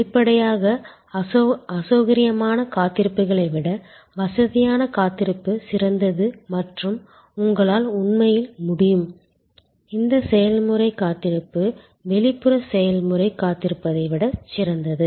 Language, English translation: Tamil, Obviously, comfortable waits are better than uncomfortable waits and you can actuallyů This in process wait is better than outer process wait